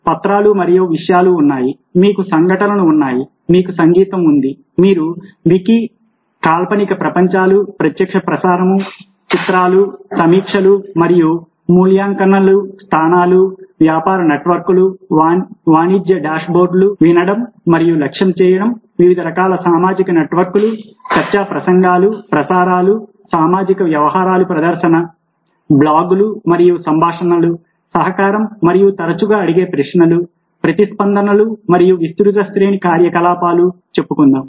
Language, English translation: Telugu, you have documents and content, you have events, you have music, you're wiki, virtual life, costing pictures, reviews and ratings, locations, business networks, commercial dashboards, listening and targeting, social networks of various kinds, discussion boards, ok streams, socialism, curiosum blocks and conversations